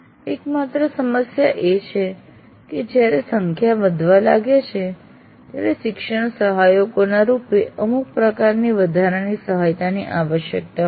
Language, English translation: Gujarati, The only issue is when the numbers start becoming large, it is required to create some kind of additional support by way of teaching assistance